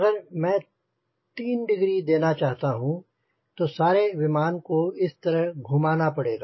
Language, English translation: Hindi, so if i want to give three degree i have to rotate the whole airplane like this